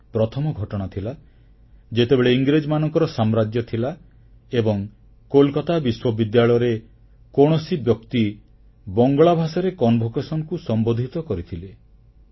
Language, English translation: Odia, This was the first time under British rule that the convocation in Kolkata University had been addressed to in Bangla